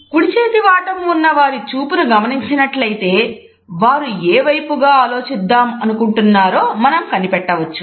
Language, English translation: Telugu, If you look at the direction of the gaze in right handed people, we can try to make out in which direction they want to think